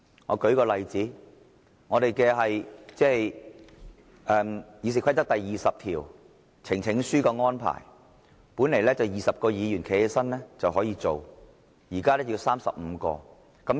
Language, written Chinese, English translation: Cantonese, 我舉一個例子，《議事規則》第20條，呈請書的安排，本來20位議員站立便可以成立專責委員會，現在要35位。, I quote one example . Under Rule 20 of the Rules of Procedure relating to the presentation of petitions currently we need no less than 20 Members to stand up in order to establish a select committee but 35 Members will be needed in future